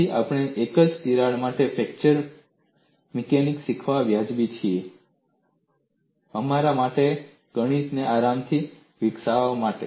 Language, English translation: Gujarati, So, we are justified in learning fracture mechanics for a single crack, for us to develop the mathematics comfortably